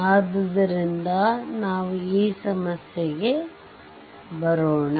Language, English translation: Kannada, So, let us come to this problem right